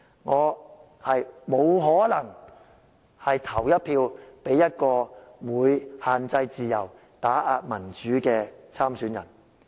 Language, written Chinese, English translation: Cantonese, 我不可能投票給限制自由、打壓民主的候選人。, It is impossible for me to vote for a candidate who restricts freedom and suppresses democracy